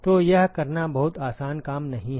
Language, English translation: Hindi, So, that is not a very easy thing to do